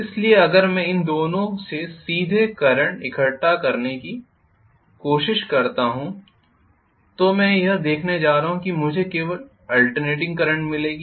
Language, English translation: Hindi, So if I try to collect the current directly from these two I am going to see that I will get only alternating current